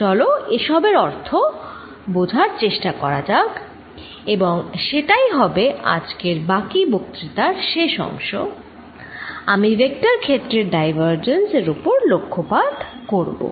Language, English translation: Bengali, Let us understand the meaning of these and that is what the rest of the lecture is going to be about today I am going to focus on divergence of a vector field